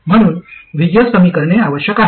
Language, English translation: Marathi, So VGS must reduce